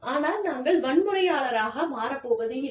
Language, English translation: Tamil, But, we are not going to become, violent